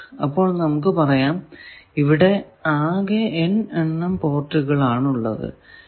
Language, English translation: Malayalam, So, we are calling that it has total capital n number of ports this is the last port